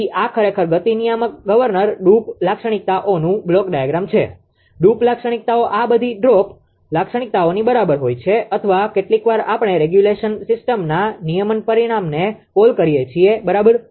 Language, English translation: Gujarati, So, this is actually block diagram of speed governing ah governor droop charac; droop characteristics these all equals droop characteristics or sometimes we call regulation system regulation parameter, right